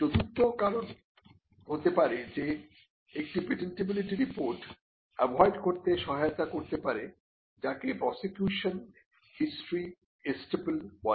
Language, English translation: Bengali, The 4th reason could be a patentability report can help in avoiding what is called prosecution history estoppel